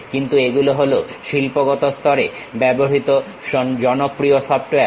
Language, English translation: Bengali, But these are the popular softwares used at industry level